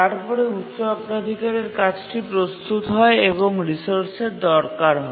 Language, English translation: Bengali, So, the high priority task is ready and needs the resource actually